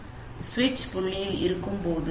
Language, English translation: Tamil, So while at the switching point